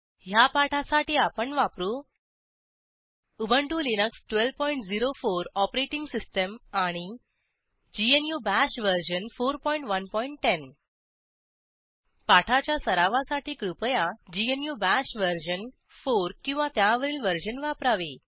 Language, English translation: Marathi, For this tutorial, I am using * Ubuntu Linux 12.04 Operating System and * GNU BASH version 4.1.10 Please note, GNU Bash version 4 or above, is recommended to practise this tutorial